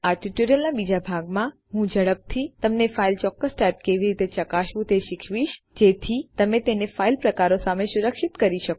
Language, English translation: Gujarati, In the second part of this tutorial, Ill quickly teach you how to check the specific file type so you can protect it against file types